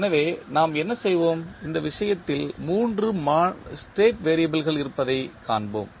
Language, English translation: Tamil, So, what we will do, we will find 3 state variables in this case